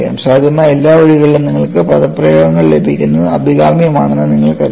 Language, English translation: Malayalam, You know it is desirable that you have the expressions available in all the possible ways